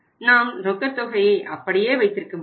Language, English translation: Tamil, We can keep the amount of cash same